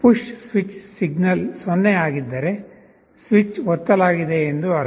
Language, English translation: Kannada, If the push switch signal is 0, it means switch has been pressed